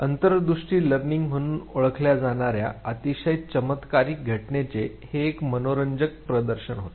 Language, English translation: Marathi, This was an interesting demonstration of a very very peculiarly phenomena what is called as Insight Learning